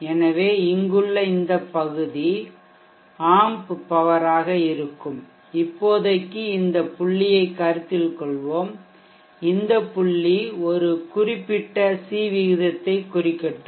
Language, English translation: Tamil, So this area here would be the amp powers and let us consider this points for now, let this point indicate a particular series